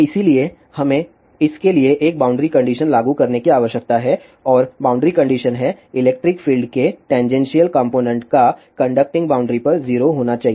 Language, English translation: Hindi, So, we need to apply a boundary condition for this and boundary conditions are the tangential component of electric field should be 0 at the conductive boundaries